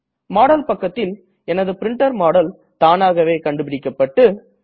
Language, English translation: Tamil, In the Model page, my printer model is automatically detected